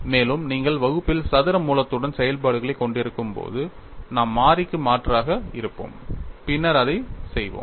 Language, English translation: Tamil, And also when you have functions with square root in the numerator or denominator, we will have substitution of variable and then do it, look at those steps also